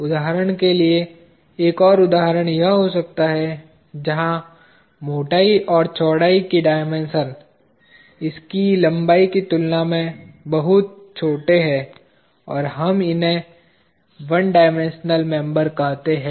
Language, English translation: Hindi, For example, another example could be this one, where the dimensions of the thickness as well as the breadth are very small compare to the length of this, and we call these as one dimensional members